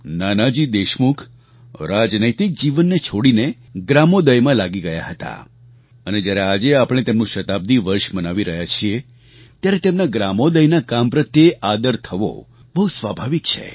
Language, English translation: Gujarati, Nanaji Deshmukh left politics and joined the Gramodaya Movement and while celebrating his Centenary year, it is but natural to honour his contribution towards Gramodaya